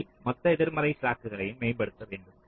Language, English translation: Tamil, first one is to optimize the total negative slack